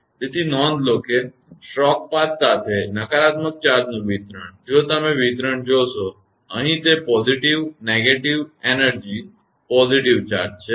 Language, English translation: Gujarati, So, note that distribution of the negative charge along the stroke path; if you see the distribution; here it is positive, negative, energy negative charge